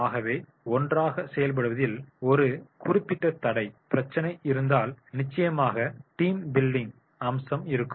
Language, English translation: Tamil, So, if there is in a particular hurdle, barrier problem in the working together, then definitely the team building the will be aspect will be there